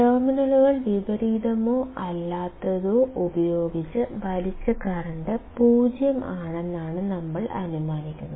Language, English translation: Malayalam, What we are assuming is that the current drawn by inverting or non inverting terminals is 0